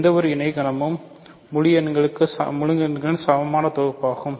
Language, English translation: Tamil, Any co set is a equivalence class of integers